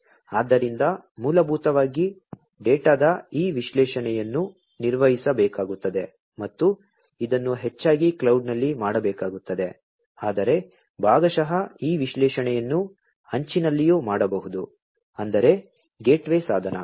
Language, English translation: Kannada, So, basically this analysis of the data will have to be performed and this will have to be done mostly at the cloud, but partly this analytics could also be done at the edge; that means the gateway device